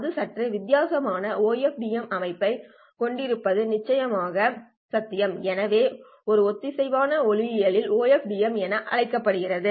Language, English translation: Tamil, It is of course possible to have a slightly different type of an OFDM system and this called as coherent optical OFDM